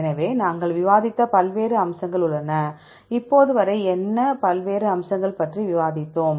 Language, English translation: Tamil, So, there are various features we discussed, what various features we discussed till now